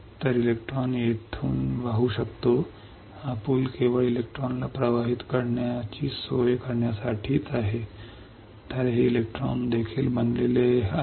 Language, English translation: Marathi, So, that the electron can flow from here to here also this bridge is not only for just facilitating the electron to flow, but this also made up of electrons